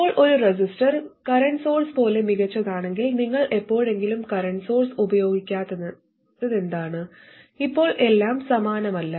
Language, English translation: Malayalam, Now if a resistor is as good as a current source, then why would you ever want to use a current source